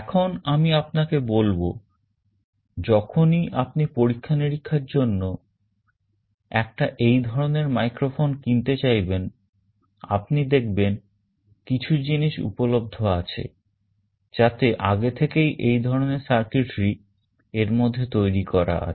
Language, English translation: Bengali, Let me also tell you when you want to buy a microphone of this type for some experiments, you will find that there are some products available that already have this circuitry built into it